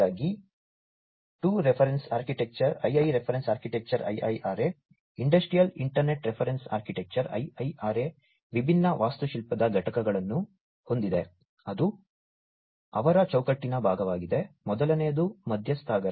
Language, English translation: Kannada, So, II Reference Architecture Industrial Internet Reference Architecture, IIRA has different architectural components, which are part of their framework, number one is the stakeholder